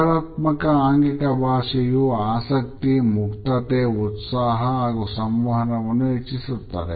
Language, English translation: Kannada, A positive body language indicates interest, openness, enthusiasm and enhances the communication also